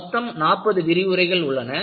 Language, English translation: Tamil, So, total lectures would be around forty